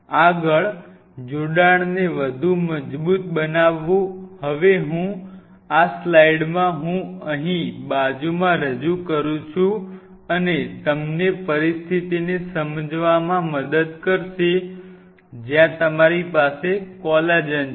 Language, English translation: Gujarati, Further strengthening the attachment, now I in this slide I introduce here side by side and will help you to understand a situation like this, where you have the collagen sitting there